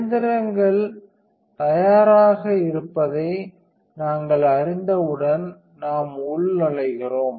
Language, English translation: Tamil, So, once we know the machines ready and it is a very use we just login